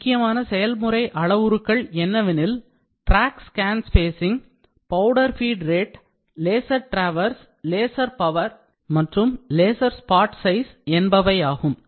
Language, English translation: Tamil, Important process parameters are tracks scan spacing, powder feed rate, laser traverse, laser power and laser spot size